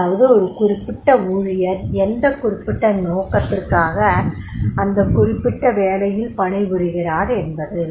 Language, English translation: Tamil, For what purpose the particular employee is working with that particular job